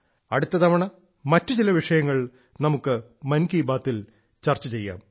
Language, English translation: Malayalam, Next time, we will discuss some more topics in 'Mann Ki Baat'